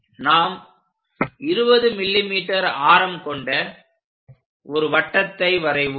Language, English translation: Tamil, We are going to construct a radius of 20 mm